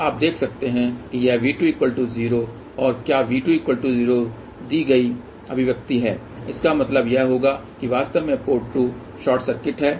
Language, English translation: Hindi, So, you can see that this is the expression provided V 2 is equal to 0 and what V 2 equal to 0 would mean that you actually short circuit the port 2